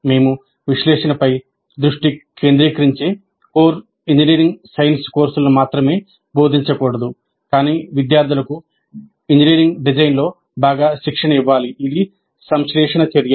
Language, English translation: Telugu, We should not only teach core engineering science courses which focus on analysis, but we should also train the students well in engineering design, which is a synthesis activity